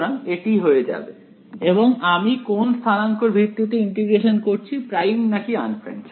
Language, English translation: Bengali, So, this will become, and I am integrating over which coordinates primed or unprimed